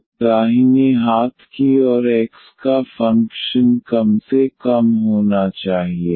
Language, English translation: Hindi, So, if this one is a function of x only